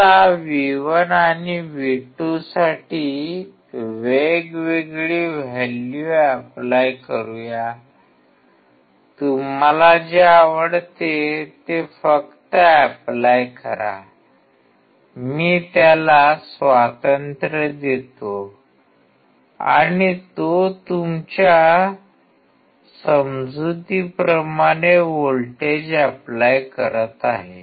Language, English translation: Marathi, Let us apply different values for V1 and V2; just apply whatever you like; I give him the freedom and he is applying voltage according to his understanding